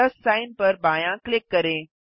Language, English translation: Hindi, Left click the plus sign